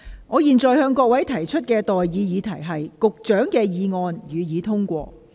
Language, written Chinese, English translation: Cantonese, 我現在向各位提出的待議議題是：環境局局長動議的議案，予以通過。, I now propose the question to you and that is That the motion moved by the Secretary for the Environment be passed